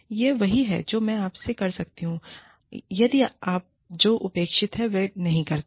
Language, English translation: Hindi, This is what, i can do to you, if you do not do, what is expected